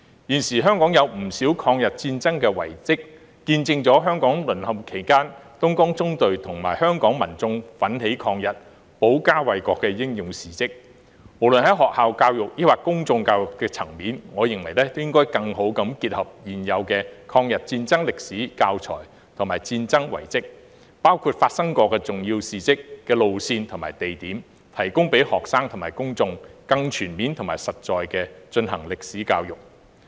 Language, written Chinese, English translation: Cantonese, 現時香港有不少抗日戰爭遺蹟，見證了香港淪陷期間東江縱隊與香港民眾奮起抗日、保家衞國的英勇事蹟，無論在學校教育或公眾教育的層面，我認為應該更好地結合現有的抗日戰爭歷史教材和戰爭遺蹟，包括發生過重要事蹟的路線和地點，提供給學生及公眾進行更全面和實在的歷史教育。, There are many monuments of the War of Resistance in Hong Kong which are evidence of the heroic efforts of the Dongjiang Column and Hong Kong people to fight against the Japanese and defend the country during the Japanese occupation . In my opinion existing teaching materials about the War of Resistance should be better integrated with monuments of the war including routes and locations where important incidents have occurred in both school education and public education so that students and the public can have a more comprehensive and concrete history education